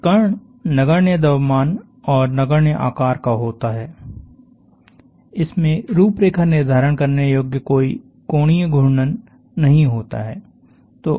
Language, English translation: Hindi, A particle is of a point mass, and a point size, it has no designable angular rotation